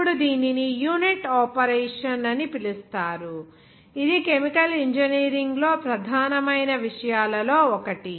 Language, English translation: Telugu, Now it is called a unit operation that is of the main important subjects in chemical engineering